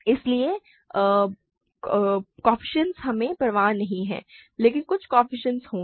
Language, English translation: Hindi, So, coefficients we do not care, but there will be some coefficients